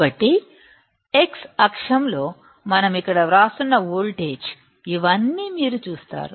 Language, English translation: Telugu, So, you see these all the voltage we are writing here in the x axis